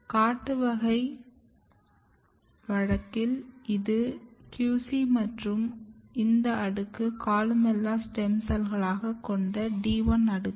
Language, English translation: Tamil, So, as you can see in the wild type case, this is QC and this layer, the D 1 layer which has columella stem cells